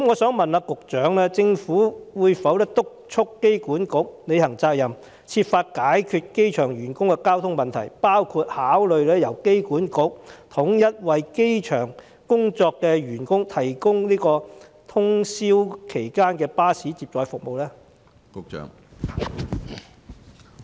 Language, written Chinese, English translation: Cantonese, 請問局長政府會否督促機管局履行責任，設法解決機場員工的交通問題，包括考慮由機管局統一為機場工作的員工提供通宵巴士接載服務呢？, May I ask the Secretary whether the Government will instruct AAHK to discharge its duties and strive to resolve the transport problems faced by airport employees including considering the idea of entrusting AAHK with the centralized provision of overnight shuttle bus services for airport employees?